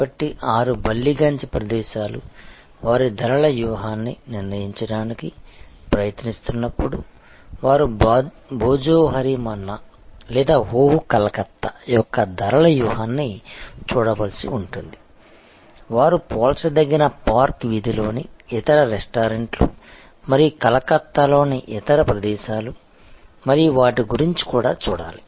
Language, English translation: Telugu, So, when 6 Ballygunge places trying to determine their pricing strategy, they have to look at the pricing strategy of Bhojohori Manna or of Oh Calcutta, they have to also look at the comparable, other restaurants at park street and other places in Calcutta and their pricing policies